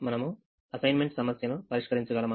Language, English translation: Telugu, can we solve an assignment problem now